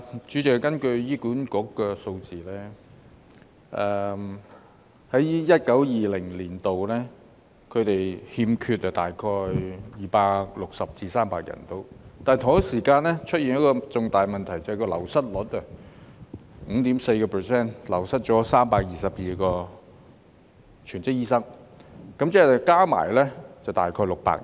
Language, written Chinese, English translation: Cantonese, 主席，根據醫管局的數字，在 2019-2020 年度，他們欠缺大約260至300名醫生，但同一時間出現了一個重大的問題，就是醫生流失率達 5.4%， 即322名全職醫生，合共大約600人。, President according to the figures released by the Hospital Authority HA in 2019 - 2020 there was a shortfall of around 260 to 300 doctors in HA . However coupled with another major problem which was an attrition rate of 5.4 % or 322 full - time doctors in equivalent the total number was about 600